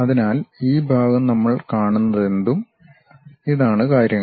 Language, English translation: Malayalam, So, this part whatever we are seeing, these are the things